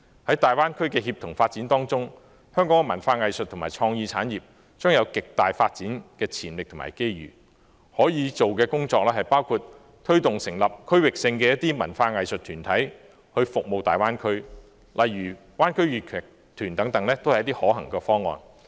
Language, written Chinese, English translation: Cantonese, 在大灣區的協同發展之中，香港的文化藝術和創意產業將有極大的發展潛力和機遇，可以做的工作包括推動成立區域性的文化藝術團體為大灣區服務，例如灣區粵劇團等，都是一些可行的方案。, In the context of collaborative development of the Greater Bay Area Hong Kongs arts and culture and creative industries will have great development potential and opportunities . Possible work includes pushing for the establishment of regional arts and culture organizations to serve the Greater Bay Area . For example a Greater Bay Area Cantonese opera troupe can be one of the feasible options